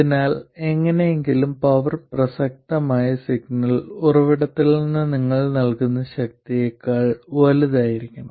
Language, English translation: Malayalam, So somehow the power must be greater than the power that you put in from the relevant signal source